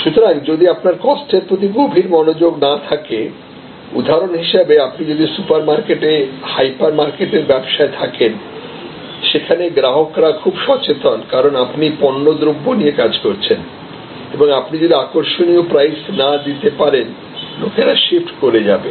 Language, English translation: Bengali, So, if you do not have minute attention to cost then for example, if you are in the supermarket, hyper market business, where people or very conscious about, because you are dealing in commodities and people will shift if you are not able to offer attractive pricing